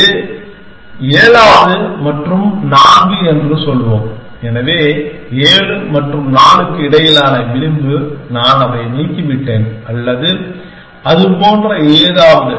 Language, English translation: Tamil, So, let us say the seventh and the four, so the edge between 7 and 4 that I have removed that or something like that